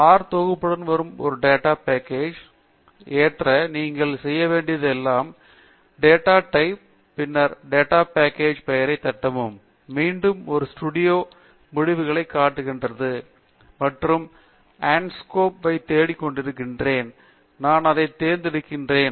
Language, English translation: Tamil, To load a data set that comes with the R package, all you have to do is, type data, and then type the name of the data set, and once again R studio shows the list of the completions that one can have, and Anscombe is the one that I am looking for, and I choose that